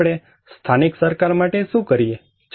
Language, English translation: Gujarati, So, what do we do for the local government